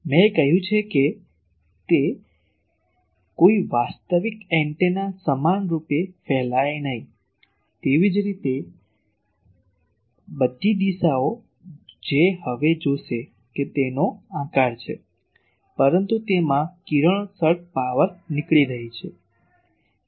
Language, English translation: Gujarati, I have said that no antenna no real antenna can radiate equally, similarly all direction that will see just now that there is a shape of that, but it is having radiation power is flowing out